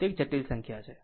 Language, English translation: Gujarati, It is a complex number